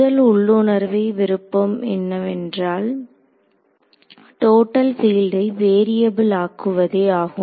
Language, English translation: Tamil, So, the first and the most intuitive choice is to allow the total field to be the variable ok